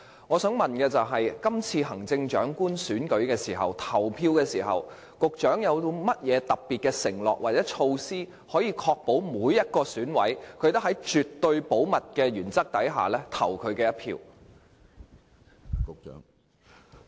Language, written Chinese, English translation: Cantonese, 我想問，今次行政長官選舉的投票，局長有甚麼特別承諾或措施，可確保每一名選委也能夠在絕對保密的原則下投票？, Can I ask whether the Secretary can make any specific undertaking or devise any specific measures to ensure that every single member of the Election Committee EC member can vote in the upcoming Chief Executive Election under the principle of absolute confidentiality?